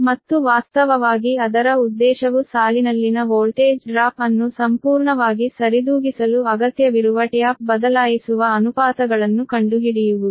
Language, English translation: Kannada, right, and so actually its objective is to find out the tap changing ratios required to completely compensate for the voltage drop in the line right